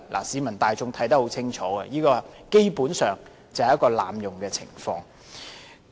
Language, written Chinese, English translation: Cantonese, 市民大眾看得清楚，這基本上是濫用會議程序。, Members of the public see clearly that this is basically an abuse of Council procedures